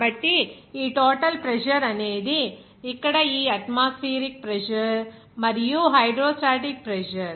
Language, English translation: Telugu, So, this total pressure is here this atmospheric pressure and the hydrostatic pressure